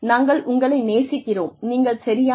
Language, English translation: Tamil, We love you, you are perfect